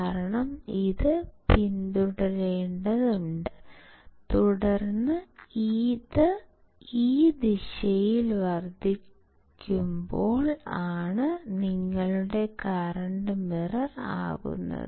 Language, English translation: Malayalam, This is because it has to follow and then this is when it is increasing in this one in this direction, this is your current mirror action